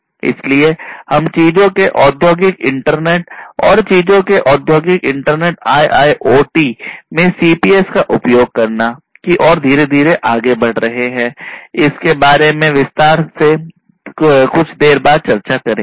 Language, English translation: Hindi, So, we are gradually leaping forward towards building industrial internet of things and in, you know, the industrial internet of things IIoT using CPS, we are going to talk about in further detail later on